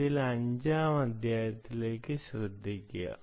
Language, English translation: Malayalam, so pay attention to chapter five